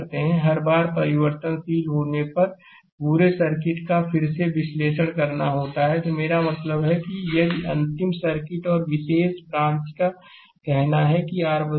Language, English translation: Hindi, Each time the variable is change right, the entire circuit has to be analyzed again I mean if you take a last circuit and one particular branch say R is changing